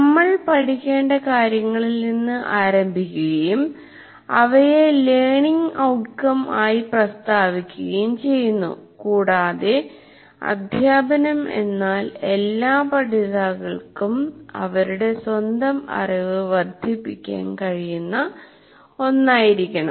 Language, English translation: Malayalam, So once again, we start with what is to be learned in the and state them as learning outcomes and the instruction should facilitate the student, all the learners to construct their own knowledge